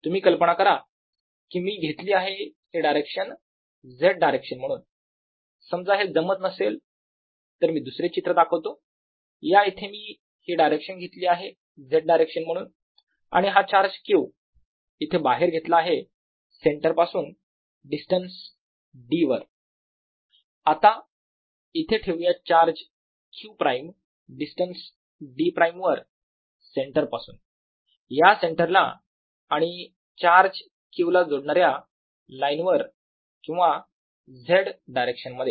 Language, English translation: Marathi, i have taken this direction to be the z direction and taken this charge q out here add a distance d from the centre, put another charge q prime at a distance d prime from the centre, along the line joining the centre and the charge q or along the z direction, then v